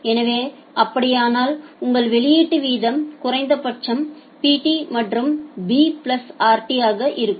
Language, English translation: Tamil, So, if that is the case then your output rate will be minimum of Pt and b plus rt